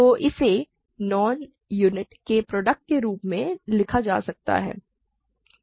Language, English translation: Hindi, So, it can be written as a product of two non units